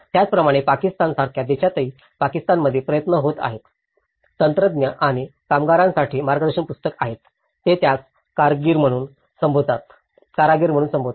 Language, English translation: Marathi, Similarly, there are efforts in Pakistan in countries like Pakistan, there have been a guidebook for technicians and artisans, they call it as artisans